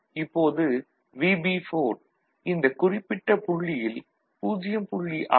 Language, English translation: Tamil, Now, when this VB4 is 0